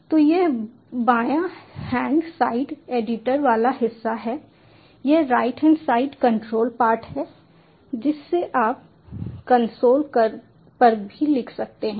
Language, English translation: Hindi, so this left hand side is the editor part, this right hand side is the console part